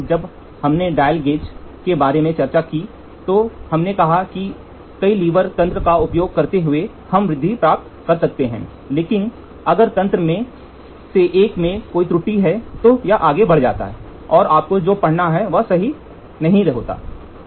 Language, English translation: Hindi, We when we discussed about the dial gauge we said using multiple levers lever mechanism we can start magnification, but if there is an error in one of the mechanism it further amplifies and what the reading you get is not correct